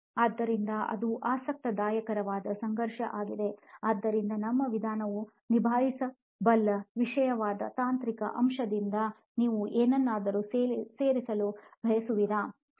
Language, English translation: Kannada, So with that that is an interesting conflict also, so I have pulled that as a something that our method can handle, is there anything you would like to add in from the technical aspect, Supra